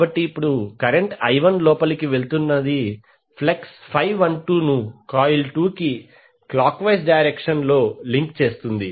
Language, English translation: Telugu, So here the current I1 is going inside you are getting flux phi 12 linking in the clockwise direction to the coil 2